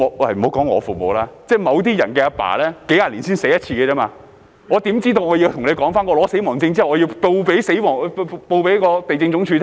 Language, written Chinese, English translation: Cantonese, 莫說我父母，即某些人的父親，數十年只會死一次，他們怎會知道領取了死亡證後要向地政總署申報呢？, I am referring to some peoples fathers whose death would occur only once in a few decades . How would those people know that they have to make a declaration to the Lands Department upon receipt of the death certificate?